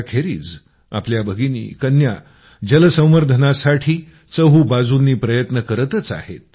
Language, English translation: Marathi, Apart from this, sisters and daughters are making allout efforts for water conservation